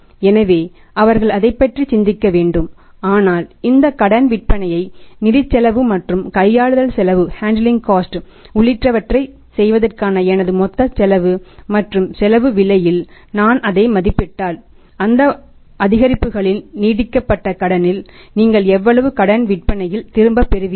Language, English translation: Tamil, So, they have to think about that, that but is my total cost of say making these credit sales including the financial cost and the handling cost and if I value it at the cost price then how much you return on that extended credit of those increase credit sales is there means how much is a return on the credit sales